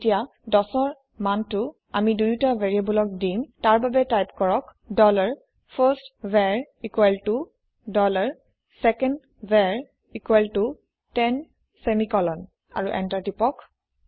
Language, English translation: Assamese, And now let us assign the value 10 to both of these variables by typing, dollar firstVar equal to dollar secondVar equal to ten semicolon And Press Enter